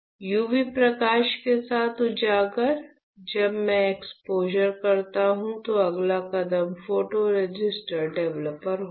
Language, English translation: Hindi, So, exposing with UV light; when I perform exposure the next step would be, photoresist developer